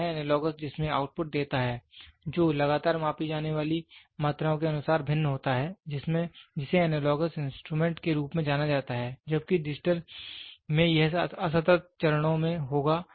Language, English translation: Hindi, So, the analogous in which gives output that varies continuously as quantities to be measured is known as analogous instrument whereas, in digital it will be in discrete steps